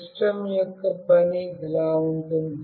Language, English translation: Telugu, The working of the system goes like this